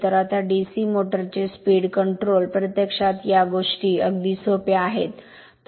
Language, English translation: Marathi, So now, speed control of DC motors, you find things are quite simple